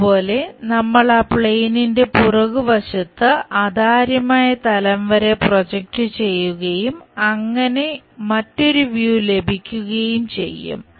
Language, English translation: Malayalam, Similarly, if we are projecting on to that plane back side opaque plane and rotate that we will get again another view